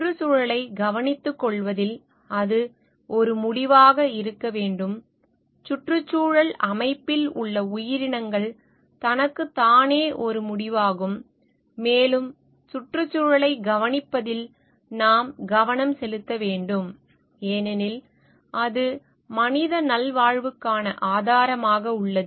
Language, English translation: Tamil, And that should be an end in itself taking care of the environment, the species in the ecosystem is an end in itself and we should not focus on taking care of the environment because it is providing as a resource for the human wellbeing